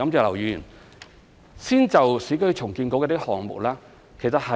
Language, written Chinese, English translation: Cantonese, 我先就有關市建局的項目作回應。, First I will respond to the part on URA projects